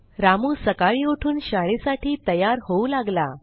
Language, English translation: Marathi, Ramu gets up in the morning and starts getting ready for school